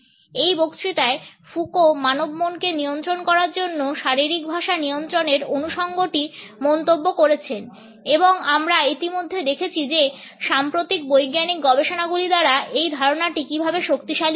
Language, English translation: Bengali, The association in controlling the body language to control the human mind has been commented on by Foucault in this lecture and we have already seen how this idea has been reinforced by recent scientific researches